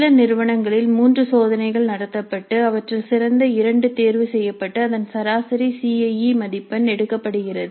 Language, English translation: Tamil, There are institutes where three tests are conducted and the best two are selected and their average is taken as the CIE